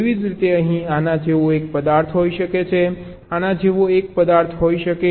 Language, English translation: Gujarati, similarly, here there can be one object like this, one object like this